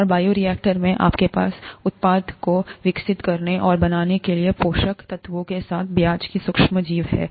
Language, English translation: Hindi, And, in the bioreactor, you have the micro organism of interest, along with the nutrients for it to grow and make the product